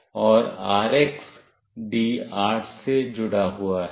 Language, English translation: Hindi, And the RX is connected to D8